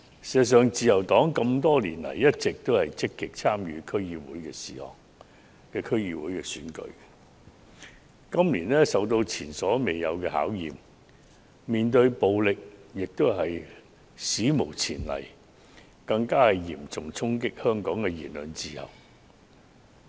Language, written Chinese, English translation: Cantonese, 事實上，自由黨多年來一直積極參與區議會選舉，可是，今年竟遇到前所未有的考驗，所要面對的暴力亦是史無前例的，因其嚴重衝擊香港的言論自由。, As a matter of fact the Liberal Party has actively participated in the DC elections over the years . But we encounter an unprecedented challenge this year . We are faced with unprecedented violence which seriously undermines the freedom of speech in Hong Kong